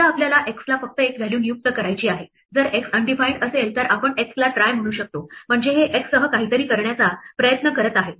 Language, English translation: Marathi, Supposing, we want to assign a vale to a name x only if x is undefined, then we can say try x so this is trying to do something with the x